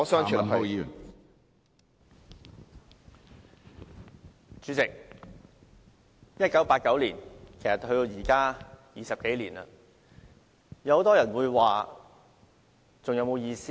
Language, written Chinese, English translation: Cantonese, 代理主席 ，1989 年距今已有20多年，很多人會問，我們舉行悼念還有沒有意思呢？, Deputy President it has been more than two decades since 1989 . Many people may ask Does it still carry any meaning to hold a commemoration?